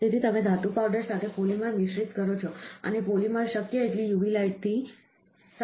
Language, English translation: Gujarati, So, you mix a polymer with a metal powder, and the polymer is cured by a UV light possible, ok